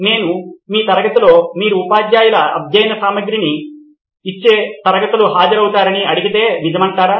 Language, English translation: Telugu, If I may ask in your class you might be attending classes where teachers might be giving out study materials, right